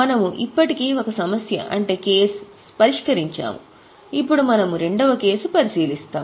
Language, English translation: Telugu, We have already done one case, now we will go for the second case